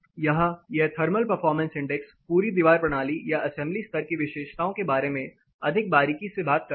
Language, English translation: Hindi, Here, this thermal performance index more closely talks about the whole wall system or the assembly level property